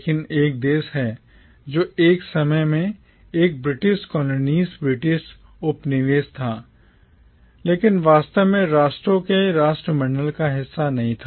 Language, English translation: Hindi, But there is one country which, though it was a British colony at one point of time, was never really a part of the commonwealth of nations